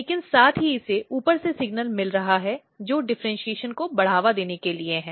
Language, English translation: Hindi, But at the same time it is getting signal; it is getting signal from the top which is to promote the differentiation